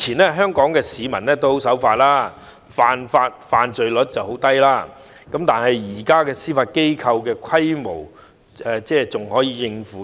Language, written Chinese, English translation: Cantonese, 過去香港市民均十分守法，犯罪率十分低，以現時司法機構的規模足以應付。, In the past as Hong Kong people were law - abiding and the crime rate was very low the current strength of the Judiciary could sufficiently cope with the work